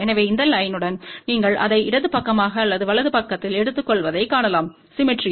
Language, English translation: Tamil, So, you can see that with this line, you take it on the left side or right side it is symmetrical